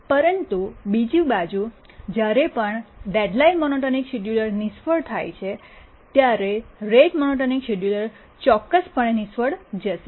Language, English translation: Gujarati, But on the other hand, whenever the deadline monotonic scheduler fails, the rate monotonic scheduler will definitely fail